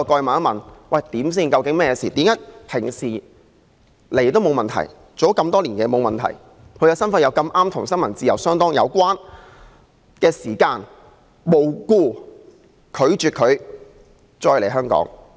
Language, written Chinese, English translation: Cantonese, 馬凱在香港工作多年，一向入境也沒有問題，但為何當他的身份碰巧變得與新聞自由相當有關時，他卻無故被拒絕再來香港？, Victor MALLET has worked in Hong Kong for many years and has encountered no problem in entering Hong Kong before . Why was he refused entry to Hong Kong for no reason when his position happened to be involved with freedom of the press?